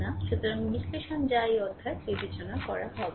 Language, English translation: Bengali, So, analysis that will not be consider in this chapter right